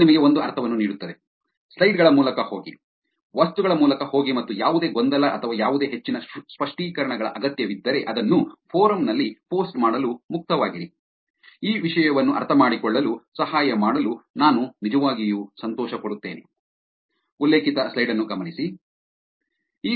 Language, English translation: Kannada, It give you a sense, go through the slides, go through the materials and if there is any confusion or any more clarifications needed, feel free to post it on forum, I will be actually happy to help in understanding these content also